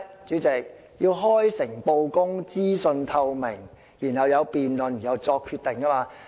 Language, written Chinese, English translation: Cantonese, 主席，就是開誠布公、資訊透明，然後大家進行辯論後作出決定。, President they are openness transparency and a deliberative decision - making process